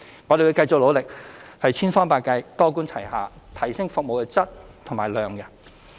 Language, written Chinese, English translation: Cantonese, 我們會繼續努力，千方百計、多管齊下提升服務的質和量。, We will make continued efforts in every possible way to improve the quantity and quality of our services through a multi - pronged approach